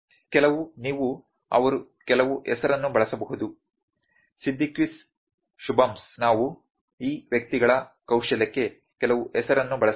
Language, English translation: Kannada, Some you can they used some name Siddiquis Shubhams we can use some name this persons skill